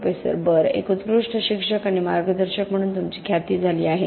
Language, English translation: Marathi, Professor: Well, you have been acclaimed as an excellent teacher, educator and mentor